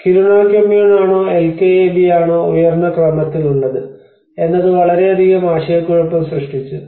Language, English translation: Malayalam, Whether the Kiruna Kommun is on a higher order whether the LKAB is a higher order that has created a lot of confusion